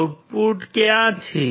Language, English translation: Gujarati, Where is the output